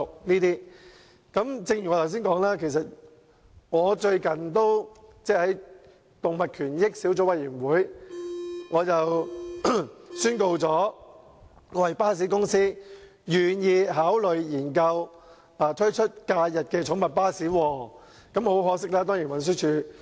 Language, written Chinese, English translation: Cantonese, 最近，在研究動物權益相關事宜小組委員會上，我宣告一間巴士公司願意考慮研究推出假日寵物巴士服務。, At a recent meeting of the Subcommittee to Study Issues Relating to Animal Rights I announced that a bus company was willing to consider introducing a holiday pet bus service